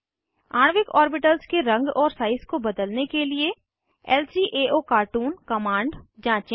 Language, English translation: Hindi, Explore lcaocartoon command to change the color and size of molecular orbitals